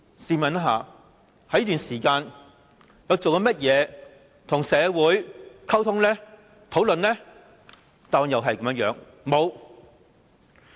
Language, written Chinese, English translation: Cantonese, 試問她在這段時間內，做過些甚麼跟社會溝通和討論呢？, What has she done in respect of communications and discussions with society over all this time?